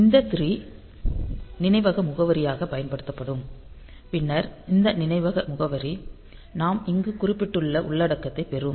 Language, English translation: Tamil, So, this 3 C will be used as the memory address and then this memory address will be going to this memory address 3 C will be getting the content that we mentioned here